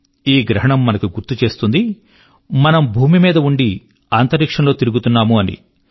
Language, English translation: Telugu, The eclipse reminds us that that we are travelling in space while residing on the earth